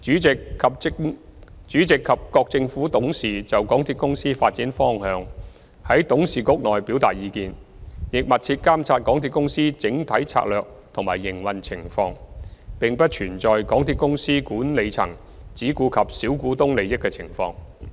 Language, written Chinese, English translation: Cantonese, 主席及各政府董事就港鐵公司發展方向在董事局內表達意見，亦密切監察港鐵公司整體策略及營運情況，並不存在港鐵公司管理層只顧及小股東利益的情況。, The Chairman and the Government Directors express their views on the development direction of MTRCL and closely monitor the overall strategic policies and operation of MTRCL so there is no question of MTRCLs management taking care only of the interests of minority shareholders